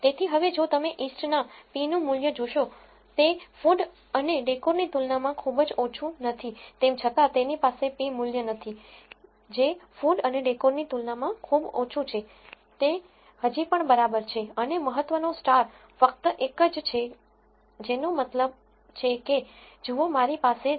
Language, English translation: Gujarati, So, now, if you see the p value for east, though it is not very very low compared to food and decor it is though it does not have a p value which is very low as that compared to food and decor, it is still OK and the significance star is only one which tells you that look if I have a significance level of say 0